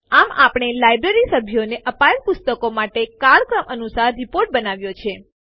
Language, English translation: Gujarati, Thus we have created our chronological report of books issued to the Library members